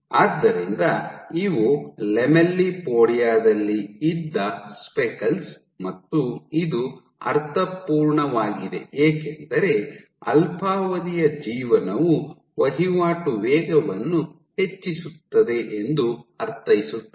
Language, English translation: Kannada, So, these are the speckles which were present in the lamellipodia and this makes sense because short living would mean that the turnover rate is high